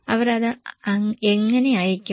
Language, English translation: Malayalam, How do they send it